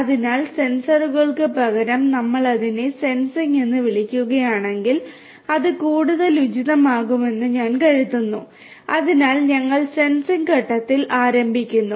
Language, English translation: Malayalam, So, instead of sensors if we call it sensing; I think that will be more appropriate, so, we start with the phase of sensing